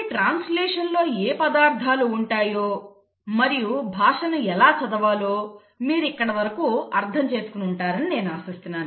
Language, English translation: Telugu, So I hope till here you have understood what are the ingredients and how the language is read in translation